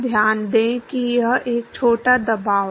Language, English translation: Hindi, Note that it is a scaled pressure